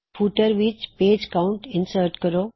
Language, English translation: Punjabi, Insert Page Count in the footer